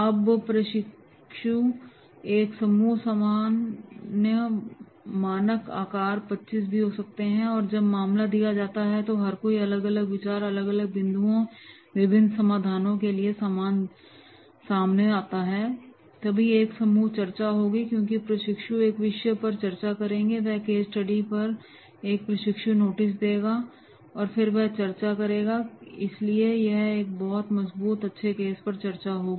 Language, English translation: Hindi, Now, there will be a group of the trainees, normally the standard size maybe 25 and when the case is given, everyone will come out with the different ideas, different points, different solutions, so that there will be group discussion because the trainees will also discuss, one will come, he will present the case study, another will take these note and then he will discuss on basis of that discussion